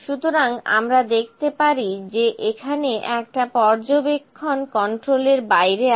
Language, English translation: Bengali, So, we can see that one of the observation here is out of control